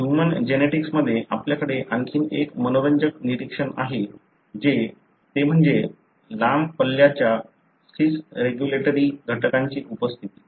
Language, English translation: Marathi, We also have another interesting observation in the human genetics that is the presence of long range cis regulatory elements